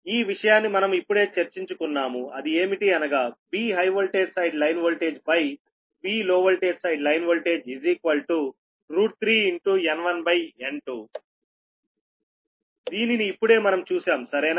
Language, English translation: Telugu, right now we have we have just discussed no, that v high voltage side line voltage by v low voltage side line voltage is equal to root three into n one upon n two